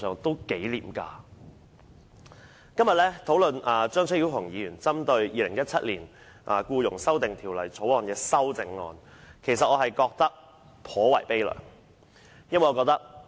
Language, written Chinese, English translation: Cantonese, 本會今天討論張超雄議員針對《條例草案》提出的修正案，我感到頗為悲涼。, Today when this Council discusses the amendments proposed by Dr Fernando CHEUNG to the Bill I feel rather sad